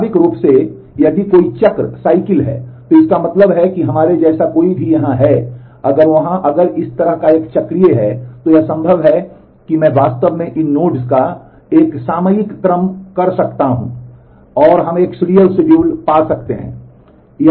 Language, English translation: Hindi, Naturally, if there is a cycle then; that means, that any of the like we have here, if there if it is a cyclic like this then it is possible that I can actually do a topological ordering of these nodes, and we can find a serial schedule